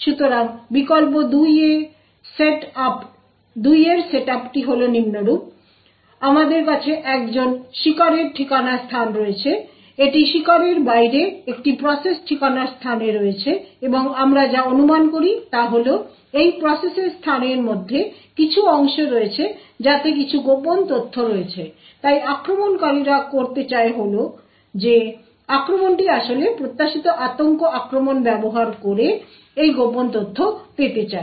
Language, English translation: Bengali, So the set up in the variant 2 is as follows we have a victim's address space so this is in an process address space off the victim and what we assume is that there is some portions of within this process space which has some secret data so what the attackers wants to do is that the attack a wants to actually obtain this secret data using the Spectre attack